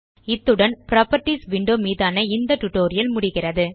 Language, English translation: Tamil, So, this completes our tutorial on the Properties window